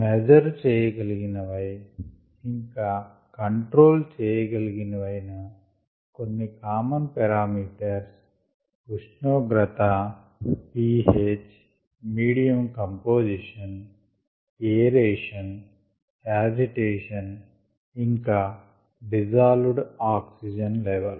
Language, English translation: Telugu, the few common ones that are measured and controlled are temperature, p, H, medium composition, aeration and agitation, as well as the dissolved oxygen level